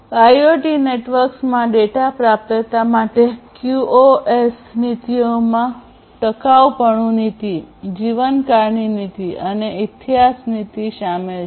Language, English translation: Gujarati, QoS policies for data availability in IoT networks include durability policy, life span policy and history policy